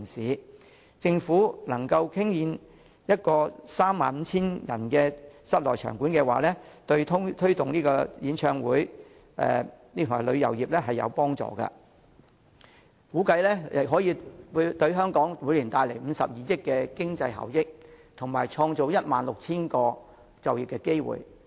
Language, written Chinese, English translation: Cantonese, 如果政府能夠興建一座可容納 35,000 人的室內場館，將有助推動演唱會旅遊發展，估計可為香港帶來每年52億元經濟效益，以及創造 16,000 個就業機會。, If the Government can build an indoor venue with a capacity of 35 000 persons it will provide impetus for the development of concert tourism bringing an estimated annual economic benefit of HK5.2 billion to Hong Kong and creating 16 000 employment opportunities